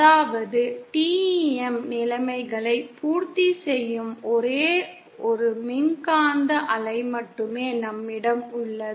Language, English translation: Tamil, That is we have only one electromagnetic wave which satisfy the TEM conditions